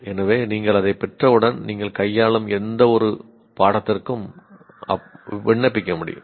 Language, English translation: Tamil, So once you acquire, you will be able to apply to any subject that you are dealing with